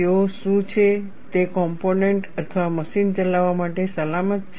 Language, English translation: Gujarati, They are Is it safe to operate the component or machine